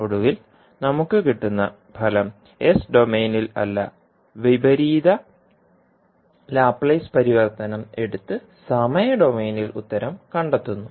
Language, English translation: Malayalam, And then finally what result we get that is not as s domain will take the inverse laplace transform to find the solution in time domain